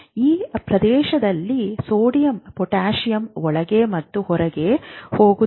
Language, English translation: Kannada, All the sodium potassium is going on in and out